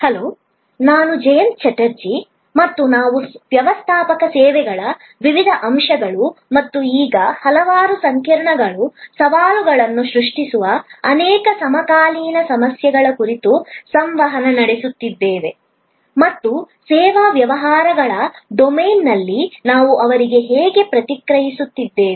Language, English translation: Kannada, Hello, I am Jayanta Chatterjee and we are interacting on the various aspects of Managing Services and the many contemporary issues that now creates complexities, challenges and how we are managing to respond to them in the domain of the service businesses